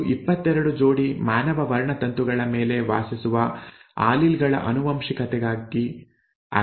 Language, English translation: Kannada, It is for the inheritance of alleles that reside on the 22 pairs of human chromosomes